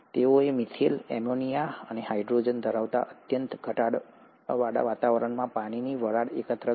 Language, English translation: Gujarati, They collected the water vapour under a very reduced environment consisting of methane, ammonia and hydrogen